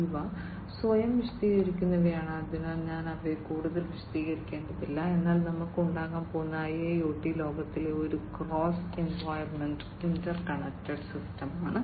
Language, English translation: Malayalam, These are self explanatory, so I do not need to explain them further, but what we are going to have is a cross environment interconnected system in the IIoT world